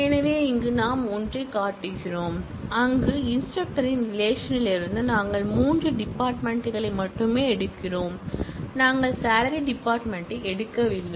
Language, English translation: Tamil, So, here we are showing one, where, from the instructor relation, we are only picking up three fields and we are not picking up the salary field